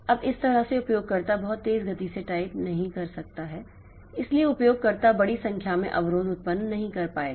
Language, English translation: Hindi, Now, this way since the user cannot type at a very high speed so the user will not be able to generate a large number of interrupts very fast